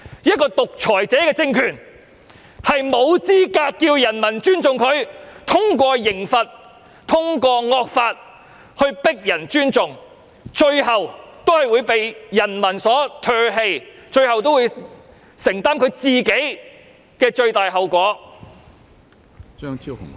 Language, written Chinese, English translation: Cantonese, 一個獨裁者的政權沒有資格要求人民尊重，通過刑罰及惡法強迫人民尊重，最終也會被人民唾棄，並須承擔最大的後果。, A dictators regime is not in a position to ask for peoples respect; a regime that compels the people to show respect by way of punishment and evil laws will eventually be discarded by the people and it has to bear the most serious consequences